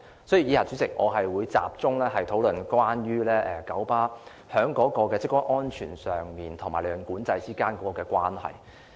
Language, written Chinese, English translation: Cantonese, 所以，代理主席，以下我會集中討論九巴的職工安全與利潤管制之間的關係。, In this connection Deputy President in my following discussion I will focus on the relationship between the safety of the employees of KMB and profit control